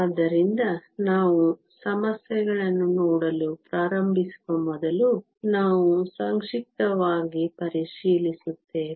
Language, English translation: Kannada, So, before we start looking at the problems, we just do a brief review